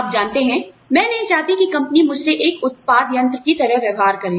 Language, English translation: Hindi, You know, I do not want the company, to treat me like an output device